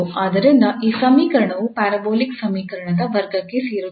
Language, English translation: Kannada, Here it is 0 so this equation falls into the class of parabolic equation